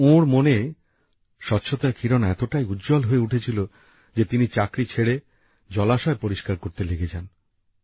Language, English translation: Bengali, However, such a sense of devotion for cleanliness ignited in his mind that he left his job and started cleaning ponds